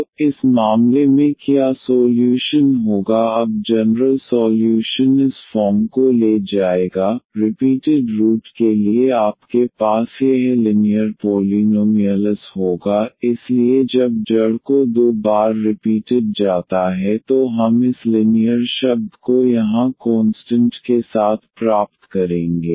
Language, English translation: Hindi, So, in this case what would be solution now the general solution will take this form, for the repeated root you will have this linear polynomial, so when the root is repeated 2 times we will get this linear term here with the constant